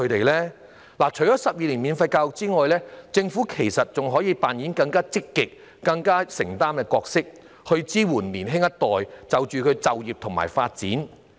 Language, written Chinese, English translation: Cantonese, 除了提供12年免費教育外，其實政府可以扮演更積極、更具承擔的角色，支援年輕一代就業和發展。, Apart from the provision of 12 - year free education the Government can actually play a more active and committed role in providing young people with career and development support